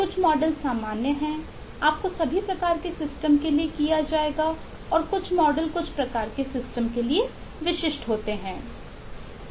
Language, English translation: Hindi, you will be done for all kinds of system and some of the models are specific to certain types of systems